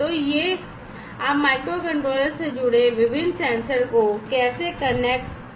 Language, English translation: Hindi, So, this is how you connect the different sensors you connect to the microcontrollers